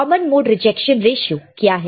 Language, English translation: Hindi, What is common mode rejection ratio